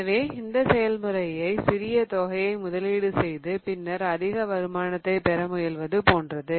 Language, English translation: Tamil, So, that is just like investing small amount right now to get greater returns later on